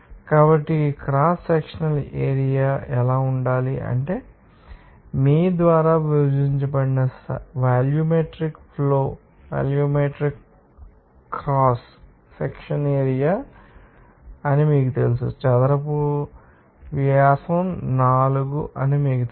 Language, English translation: Telugu, So, what should be the cross sectional area simply volumetric flow divided by you know volumetric cross section area to be simply you know that by the square by four is the diameter